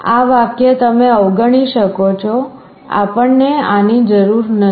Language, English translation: Gujarati, This line you can omit we do not need this